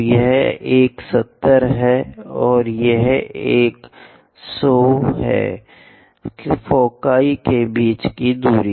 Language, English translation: Hindi, So, this one is 70, and this one is 100, the distance between foci